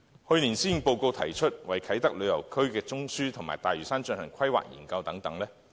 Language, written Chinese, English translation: Cantonese, 去年施政報告提出為啟德旅遊中樞及大嶼山進行規劃研究等。, It was mentioned in last years Policy Address that the Government was taking forward planning studies on the Tourism Node at Kai Tak and Lantau